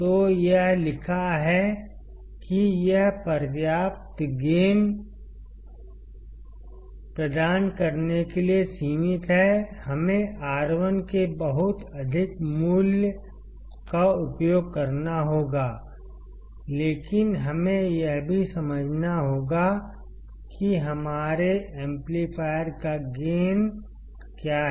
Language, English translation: Hindi, So, it is written that it is limited to provide sufficient gain, we have to use very high value of R1, but we also have to understand as to what is the gain of our amplifier